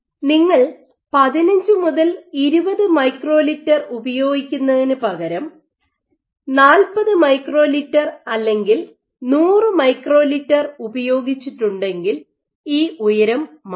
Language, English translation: Malayalam, So, instead of using 15 to 20 microliters if you used 40 microliters or 100 microliters this height will change